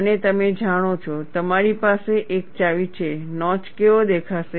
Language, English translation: Gujarati, And you know, you have a clue, how the notch will look like